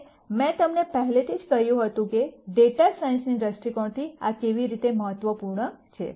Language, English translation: Gujarati, And I already told you how this is important from a data science viewpoint